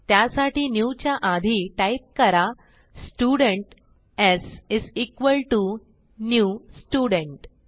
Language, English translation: Marathi, So before new type Student s is equal to new student